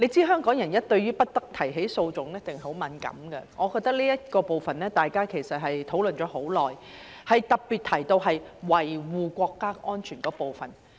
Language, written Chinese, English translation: Cantonese, 香港人對於"不得提起訴訟"一定很敏感，大家就這部分討論了很久，特別提到維護國家安全的部分。, Hong Kong people must be very sensitive about the saying that no legal proceedings may be instituted . In this connection we held discussions for a long time and we especially talked about safeguarding national security